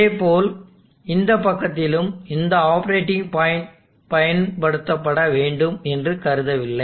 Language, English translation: Tamil, And likewise, on this side also these operating points are not suppose to be used